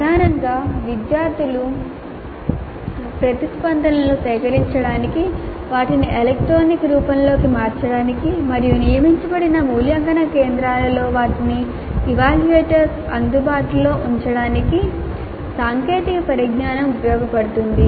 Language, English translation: Telugu, So primarily the technology is being used to gather the student responses turn them into electronic form and make them available to the evaluators at designated evaluation centers